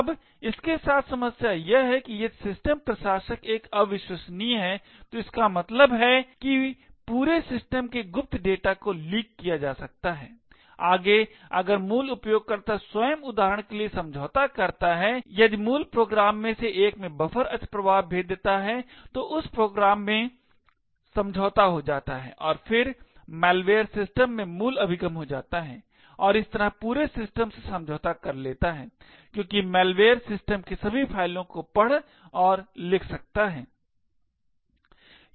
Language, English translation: Hindi, Now the problem with this is that if the system administrator is an trusted then it means that the entire systems secret data can be leaked, further if the root itself gets compromised for example if there is a buffer overflow vulnerability in one of the root programs, then that program gets compromised and then the malware gets root access to the system and thus compromises the entire system because the malware can read and write to all files in the system